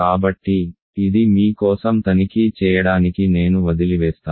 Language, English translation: Telugu, So, this I will leave for you to check